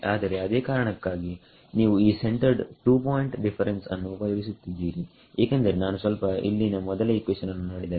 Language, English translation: Kannada, So, that is in that is the reason why you use this centered two point difference because if I just look at the first equation over here